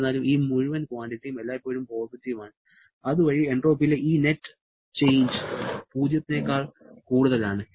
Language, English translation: Malayalam, However, this entire quantity is always positive and thereby this net change in entropy is greater than 0